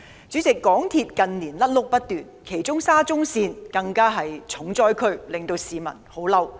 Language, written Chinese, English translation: Cantonese, 主席，港鐵公司近年"甩轆"不斷，其中沙田至中環線更是"重災區"，令市民異常憤怒。, President MTRCL has been making blunders in recent years non - stop and the Shatin to Central Link SCL is the hardest hit area greatly enraging people